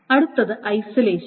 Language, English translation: Malayalam, Next comes the isolation